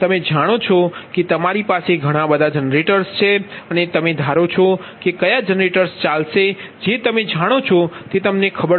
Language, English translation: Gujarati, suppose you have so many generators and you assume that which generators will run, that you know, that did that, that is known to you, right